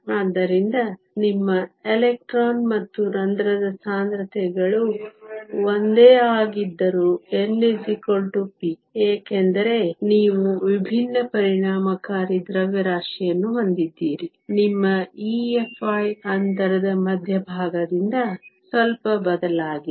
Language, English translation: Kannada, So, even though your electron and hole concentrations are the same, so n is equal to p because you have different effective masses, your E Fi is slightly shifted from the center of the gap